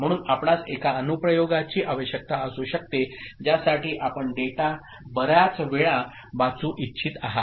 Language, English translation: Marathi, So, you may need in an application that you want to read the data multiple times